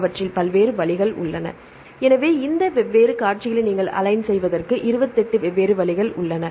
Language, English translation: Tamil, So, there are 28 different ways you can align these 2 different sequences